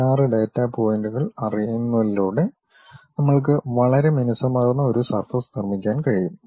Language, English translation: Malayalam, By just knowing 16 data points we will be in a position to construct a very smooth surface